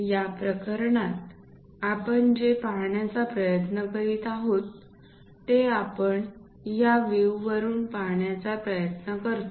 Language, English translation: Marathi, In this case, what we are trying to look at is from this view we are trying to look at